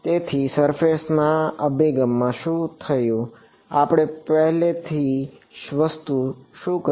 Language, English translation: Gujarati, So, what happened in the surface approach, what was the first thing that we did